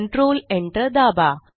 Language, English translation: Marathi, Press Control Enter